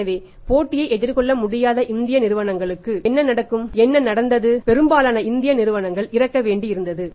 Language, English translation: Tamil, So, what will happen to the Indian firms Indian organisations who were not able to face the competition and when it happened most of the Indian firm had to die